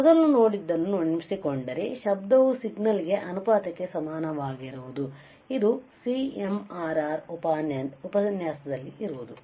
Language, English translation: Kannada, So, if you recall what we have seen earlier we have seen signal to noise ratio, and what is our said topic the topic was CMRR right